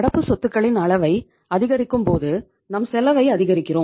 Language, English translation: Tamil, But if you increase the level of current assets you are increasing your cost